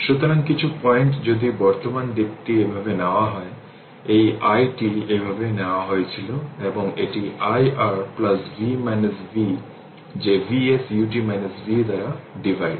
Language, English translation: Bengali, So, some point some point if you current direction was taken like this, this i t was taken like this right, i t was taken like this, and i t is equal to we wrote know, i t is equal to that is your i R plus v minus v that is your V s U t minus V divided by R minus this V divided by R